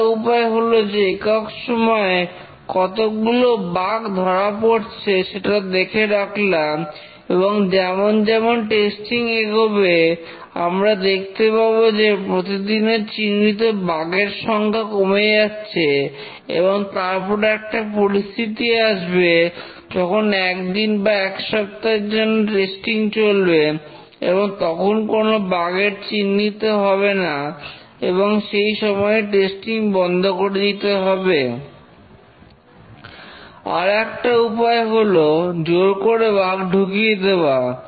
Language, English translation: Bengali, One way is that we observe the number of bugs that are getting detected over unit time and as testing progresses we find that the number of bugs detected per day is decreases and then we have a situation where testing takes place for a day or a week and no bug is detected and that's the time when we may stop testing